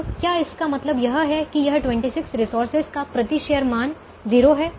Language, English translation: Hindi, now does it mean that this twenty six resources have zero value per share